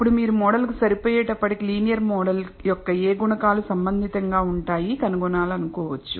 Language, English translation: Telugu, Then even if you fit a model you may want to find out which coefficients of the linear model are relevant